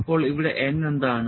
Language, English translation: Malayalam, So, what is n here